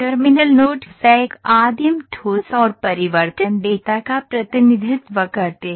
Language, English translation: Hindi, The terminal nodes represents a primitive solid and the transformation data